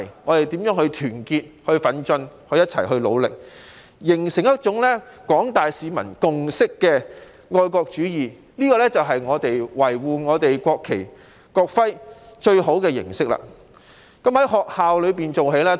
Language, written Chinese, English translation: Cantonese, 我們要團結、奮進、一起努力，形成一種具有廣大市民共識的愛國主義，這才是維護國旗和國徽的最好方式，而以上種種當然必須從學校做起。, We must stick together forge ahead and do our very best with a spirit of patriotism on the basis of a general consensus reached by members of the public and this is the best way to protect the national flag and national emblem . All these are education efforts to be undertaken first at schools